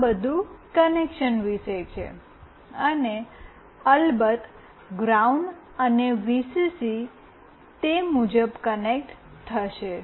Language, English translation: Gujarati, This is all about the connection, and of course ground and Vcc will be connected accordingly